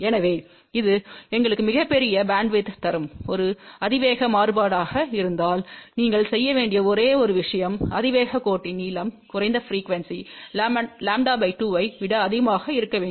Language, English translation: Tamil, So, if this is a exponential variation that will give us the largest bandwidth , the only thing you have to do it is the length of the exponential line should be greater than lambda by 2 at the lowest frequency ok